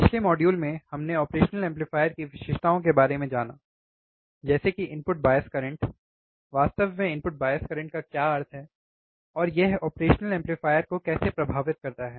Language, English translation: Hindi, In last modules, we have gone through the characteristics of an operational amplifier, such as input bias current, what exactly input bias current means, and how it is going to affect the operational amplifier